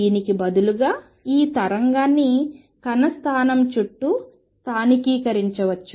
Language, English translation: Telugu, Rather, this wave could be localized around the particle position